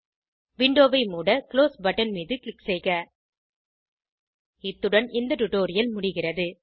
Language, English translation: Tamil, Lets click on Close button to close the window With this we come to the end of this tutorial